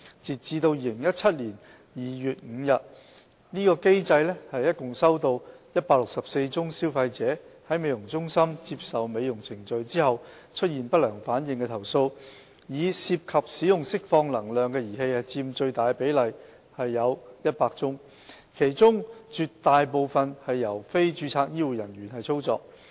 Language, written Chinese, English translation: Cantonese, 截至2017年2月5日，該機制共收錄164宗消費者在美容中心接受美容程序後出現不良反應的投訴，以涉及使用釋放能量的儀器佔最大比例，其中絕大部分由非註冊醫護專業人員操作。, As of 5 February 2017 the mechanism had recorded a total of 164 complaints by consumers on adverse events related to cosmetic procedures performed at beauty parlours a large proportion of which involved the use of energy - emitting apparatus . Of these cases most of them were performed by non - registered health care professionals HCPs